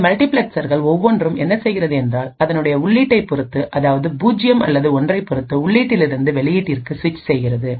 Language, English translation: Tamil, And what each of these multiplexers does is that based on the input either 0 or 1, it will switch that corresponding input to the output